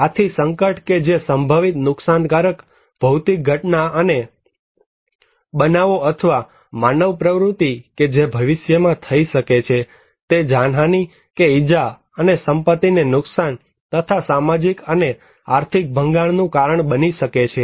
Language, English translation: Gujarati, So, hazard which is a potential damaging physical event and phenomena or human activity which can cause in future may cause some loss of life, injury and property damage and social and economic disruptions